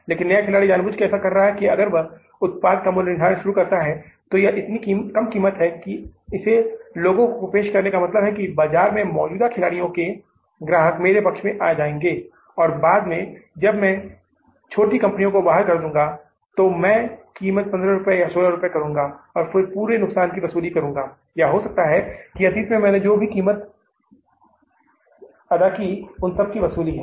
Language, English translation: Hindi, But the new player is knowingly doing it that if I start pricing the product at such a low price and offering it to the people, people will miss the players or the customers of the existing players in the market, they will shift to my side and later on when I am able to kill these small companies in the market, I will check up the price to 15 rupees or 16 rupees and then recover the whole loss or maybe the lesser recovery of the price which I have done in the past